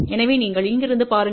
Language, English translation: Tamil, So, you look from here